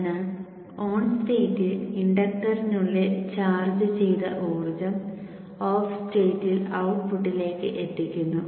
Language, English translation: Malayalam, So the energy that was charged within the inductor during the on state is delivered to the output during the off state